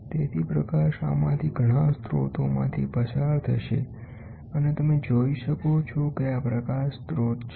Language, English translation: Gujarati, So, the light will pass through several of these sources and you can see this is a light source